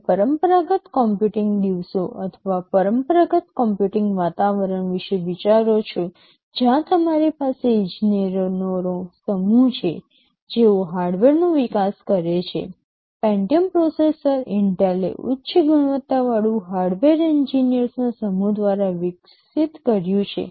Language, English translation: Gujarati, You think about the conventional computing days or traditional computing environment, where you have a set of engineers, who develop the hardware, the Pentium processor is developed by Intel by a set of highly qualified hardware engineers